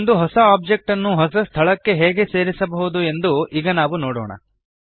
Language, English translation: Kannada, Now let us see how we can add a new object to a new location